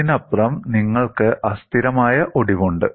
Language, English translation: Malayalam, So, beyond this, you will have fracture instability